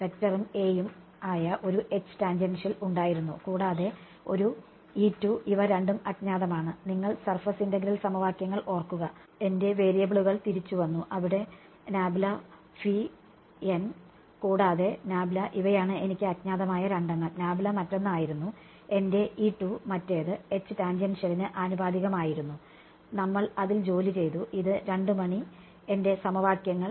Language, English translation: Malayalam, There was a H tan which is a vector and a E z, these are the two unknowns, remember if you if you recall the surface integral equations, my variables back then were grad phi dot n hat and phi these were my two unknowns right phi was my E z and this was proportional to H tan we had worked it out these were my two equations